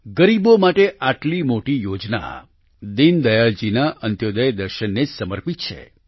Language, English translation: Gujarati, Such a massive scheme for the poor is dedicated to the Antyodaya philosophy of Deen Dayal ji